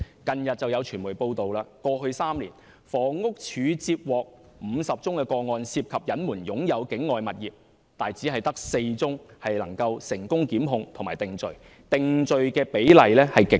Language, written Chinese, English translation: Cantonese, 近日有傳媒報道，指過去3年，房屋署接獲50宗個案，涉及隱瞞擁有境外物業，但只有4宗能夠成功檢控並定罪，定罪的比例極低。, Recently there are media reports that over the past three years the Housing Department HD has received 50 cases involving PRH residents concealing their ownership of properties outside Hong Kong . Only four cases are successful in prosecution and conviction . The conviction rate is really very low